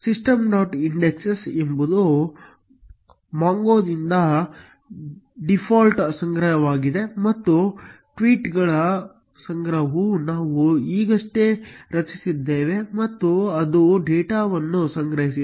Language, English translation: Kannada, indexes is a default collection by mongo and tweets collection is the one which we have just created and it has data stored